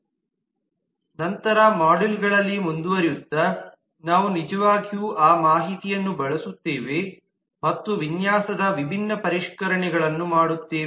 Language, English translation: Kannada, going forward in later modules we will actually use that information and do different refinements of the design